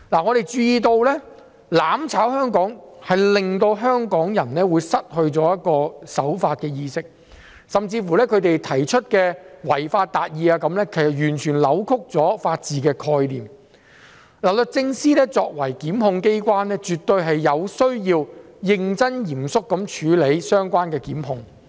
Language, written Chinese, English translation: Cantonese, 我們注意到"攬炒"香港會令香港人失去守法的意識，甚至他們提出的違法達義也是完全扭曲了法治的概念，律政司作為檢控機關，絕對有需要認真和嚴肅地處理相關的檢控。, We have noticed that mutual destruction of Hong Kong will undermine the law - abiding awareness of Hong Kong people . Moreover the idea of achieving justice by violating the law proposed by them is a complete distortion of the concept of the rule of law . It is absolutely necessary for the Department of Justice as the prosecution authority to handle relevant prosecutions in a serious and solemn manner